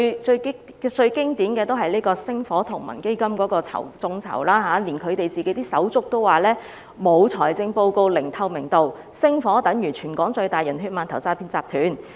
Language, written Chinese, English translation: Cantonese, 最經典的例子是星火同盟的眾籌活動，就連他們的手足也說星火同盟沒有財政報告，毫無透明度，是全港最大的"人血饅頭"和詐騙集團。, The most classic example is the crowdfunding activities of the Spark Alliance . Even their brothers have accused the Spark Alliance of failing to provide financial reports and having no transparency at all . It is the biggest fraud gang in Hong Kong eating the biggest steamed bun dipped in human blood